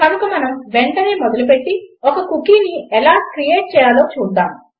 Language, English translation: Telugu, So lets begin right away and see how to create a cookie